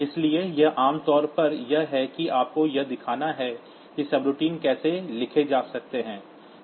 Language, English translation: Hindi, So, this is typically to this is just to show you how the subroutines can be written